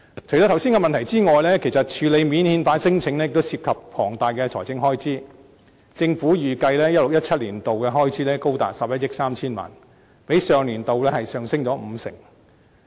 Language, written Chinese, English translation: Cantonese, 除了剛才的問題之外，處理免遣返聲請亦涉及龐大財政開支，政府預計 2016-2017 年度的開支高達11億 3,000 萬元，較上年度上升五成。, In addition to the problems mentioned above the handling of non - refoulement claims also involves huge financial outlay . According to the Government the estimated expenditure for the year 2016 - 2017 is as high as 1.13 billion an increase of 50 % over the previous year